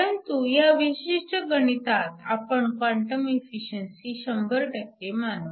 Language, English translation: Marathi, If you take the quantum efficiency to be 0